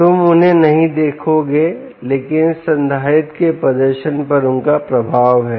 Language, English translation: Hindi, you wont see them, but they have their effect on the performance of this capacitor